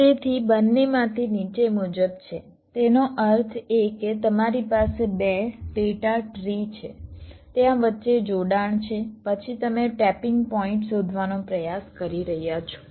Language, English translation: Gujarati, that means: ah, you have two subtrees, ah, there is a connection between then you are trying to find out the tapping point